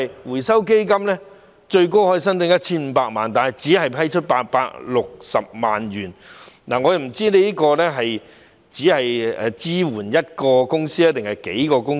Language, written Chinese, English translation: Cantonese, 回收基金最高可以申請 1,500 萬元，但只批出860萬元，我不知道這只是支援一間公司，還是數間公司？, The maximum amount that can be applied for under the Fund is 15 million but only 8.6 million has been granted . I do not know whether it is for supporting a single company or several ones